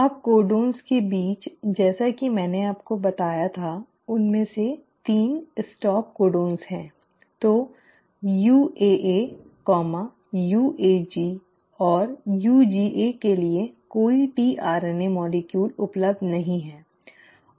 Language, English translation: Hindi, Now among the codons as I told you, 3 of them are stop codons, so for UAA, UAG and UGA there is no tRNA molecule available